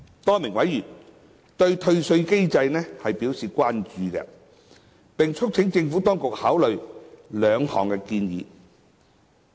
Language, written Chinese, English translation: Cantonese, 多名委員對退稅機制表示關注，並促請政府當局考慮兩項建議。, A number of Members have expressed concern about the refund mechanism and have urged the Administration to consider two suggestions